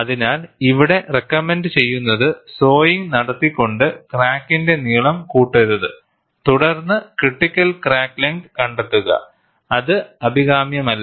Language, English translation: Malayalam, So, what is recommended here is, do not increase the length of the crack by sawing and then find the critical crack length, which is not a desirable practice